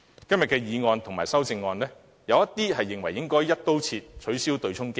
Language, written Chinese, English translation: Cantonese, 今天的議案和修正案，有議員認為應"一刀切"取消對沖機制。, In the motion and amendments today some Members hold the view that the offsetting mechanism should be abolished across the board